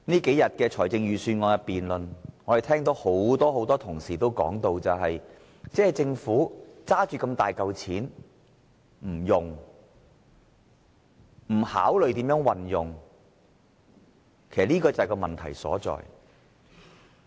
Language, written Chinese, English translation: Cantonese, 這數天的預算案辯論，我們聽到很多同事說，政府有大筆盈餘不用，這就是問題所在。, We have heard many Members mention in the Budget debate over the past few days the enormous surplus of the Government . This is where the problem is